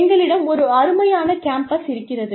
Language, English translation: Tamil, We have a fantastic campus